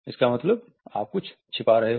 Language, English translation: Hindi, You are hiding something